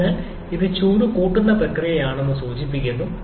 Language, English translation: Malayalam, So, it signifies that is a heat addition process